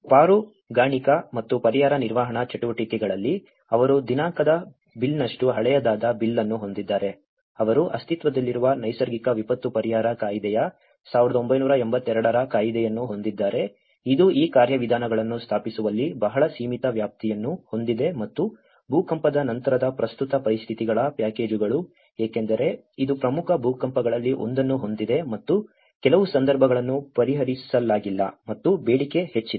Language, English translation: Kannada, Now, in the rescue and relief management activities, they have a bill which has been as old as a dated bill of, they have an act of an existing Natural Calamity Relief Act, of 1982 which has a very limited scope in establishing these procedures and also the packages of the present conditions of the post earthquake because it has one of the major earthquake and there are certain situations which has not been addressed and the demand has been high